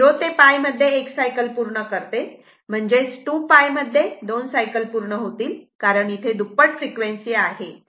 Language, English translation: Marathi, So, that means, in 2 in 2 pi, it is completing 2 cycles because it is a double frequency